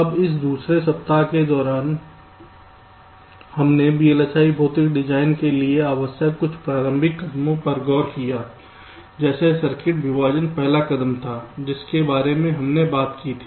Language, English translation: Hindi, now, during this second week we looked at some of the means, initial steps, that are required for the vlsi physical design, like circuit partitioning, was the first step we talked about